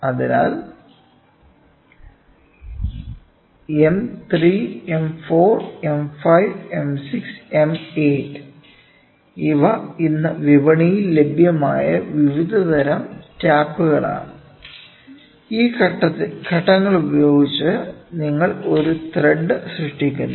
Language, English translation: Malayalam, So, M 3, M 4, M 5, M 6 and M 8, these are various types of taps which are available in the market today, by using these steps you create a thread